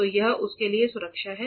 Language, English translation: Hindi, So, this is the protection for that